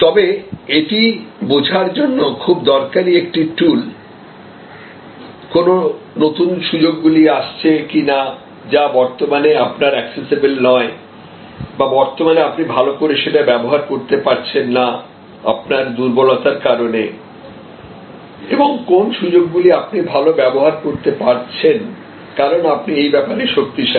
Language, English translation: Bengali, But, very useful tool to understand, that what are the new emerging opportunities which are sort of not accessible to you currently or not being avail by you well currently, because of your weaknesses and what opportunities you can do very well, because you are strong in those